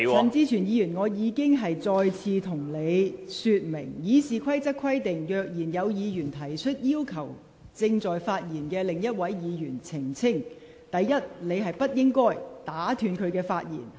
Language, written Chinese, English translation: Cantonese, 陳志全議員，我已一再向你說明，《議事規則》規定，如議員擬要求正在發言的另一位議員澄清其發言內容，第一，他不得打斷該位議員的發言......, Mr CHAN Chi - chuen I have explained to you time and again that as stated in the Rules of Procedure if a Member intends to seek elucidation of some matter raised by that Member in the course of his speech first he shall not interrupt the speech of that Member